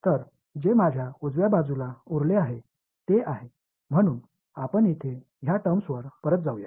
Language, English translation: Marathi, So, what I was left with on the right hand side is so let us go back to this terms over here